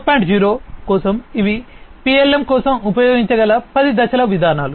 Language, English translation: Telugu, 0, these are the 10 step approaches that can be used for PLM